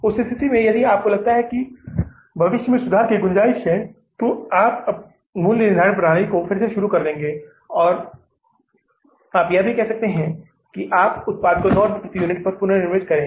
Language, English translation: Hindi, In that case, if you feel that there is a scope for the future improvements, you start redoing the pricing system and you can also reprise your product at 9 rupees per unit